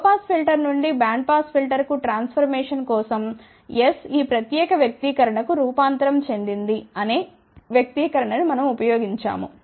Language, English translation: Telugu, For the transformation from low pass filter to band pass filter, we had used the expression that S was transformed to this particular expression